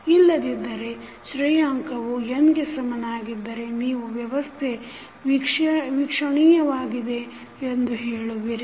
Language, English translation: Kannada, Otherwise when the rank is equal to n you will say the system is observable